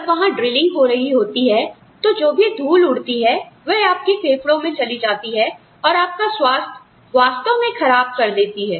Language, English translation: Hindi, When there is drilling going on, all of this, the dust that comes in, gets into your lungs, and really damages your health